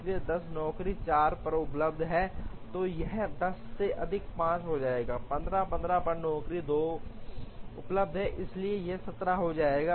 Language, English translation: Hindi, So, at 10 job 4 is available, so this will become 10 plus 5, 15, at 15 job 2 is available, so this will become 17